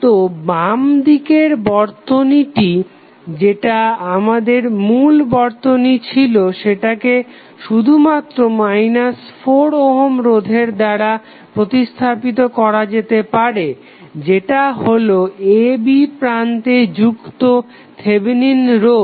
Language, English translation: Bengali, So, the left side of this which was our original circuit can be replaced by only the 4 ohm that is minus 4 ohm resistance that is Thevenin resistance connected across terminal a and b